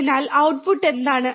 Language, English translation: Malayalam, So, what is the output